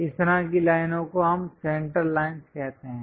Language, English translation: Hindi, This kind of lines we call center lines